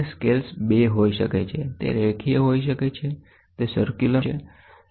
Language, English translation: Gujarati, And the scales can be of 2, it can be linear, it can be circular